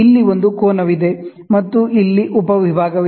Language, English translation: Kannada, Here is an angle, and here is the sub division